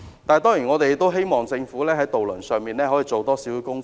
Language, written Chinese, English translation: Cantonese, 當然，我們也希望政府在這方面可以多做工夫。, Of course we also hope that the Government will make more efforts in this respect